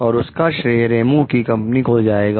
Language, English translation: Hindi, The credit goes to the Ramos s company